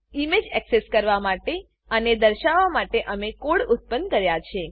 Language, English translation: Gujarati, We have generated the code for accessing and displaying the image